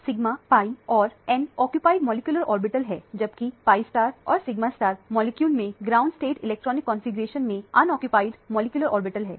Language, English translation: Hindi, The sigma, pi and the n are the occupied molecular orbitals, where as the pi start and the sigma stars are unoccupied molecular orbital in the ground state electronic configuration of the molecule